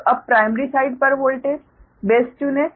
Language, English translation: Hindi, so let us choose a voltage base